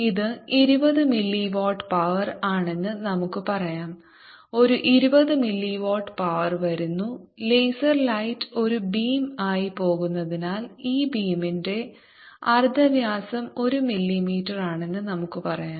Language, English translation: Malayalam, a twenty mini watt power is coming out and since laser light is go as a beam, let us say the radios of this beam is one millimeter